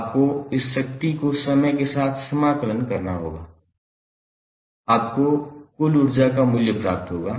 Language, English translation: Hindi, You have to just integrate over the time of this power, you will get the value of total energy stored